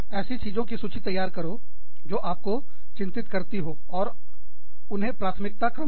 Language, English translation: Hindi, Make a list of the things, that you are worried about, and prioritize them